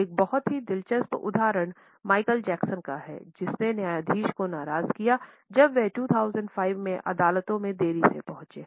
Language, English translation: Hindi, A very interesting example is that of Michael Jackson, who angered the judge when he arrived late in one of the courts in 2005